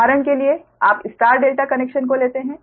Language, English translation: Hindi, this is: for example, you take star delta connection